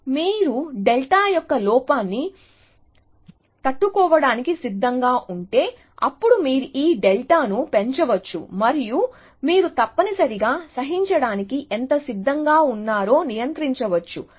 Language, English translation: Telugu, So, if you are willing to tolerate an error of delta, then you can increment this delta and you can control how much you have willing to tolerate by essentially